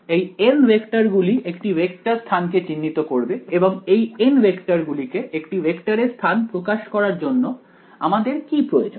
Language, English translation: Bengali, This N vectors alright these N vectors will characterize a vector space and for these n vectors to characterize the vector space what is the requirement on these vectors